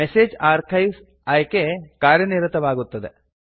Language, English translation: Kannada, The Message Archives options are enabled